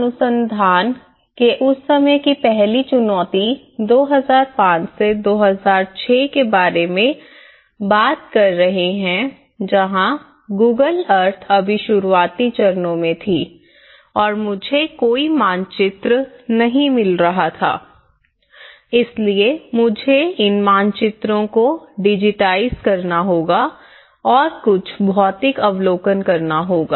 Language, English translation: Hindi, The first challenge in that time of research we are talking about 2005 2006 where the Google Earth was just in the beginning stages and I was not getting any Maps, so I have to digitize these maps whatever the Google Earth have to give me and some physical observations